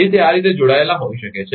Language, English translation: Gujarati, So, it may be connected like this